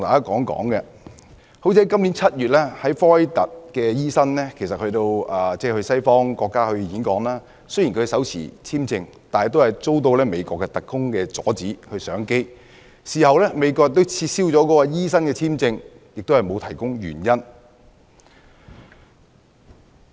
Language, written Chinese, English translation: Cantonese, 今年7月 ，1 名科威特醫生前往西方國家演講，雖然他手持簽證，但他仍被美國特工阻止上機，事後美國亦撤銷了他的簽證，但並沒有提供原因。, In July this year a Kuwaiti doctor travelled to a western country to give a speech . Although he had a visa he was still stopped from boarding the plane by United States agents and the United States later revoked his visa without providing any reason